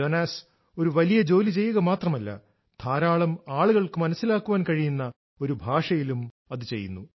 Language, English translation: Malayalam, Jonas is not only doing great work he is doing it through a language understood by a large number of people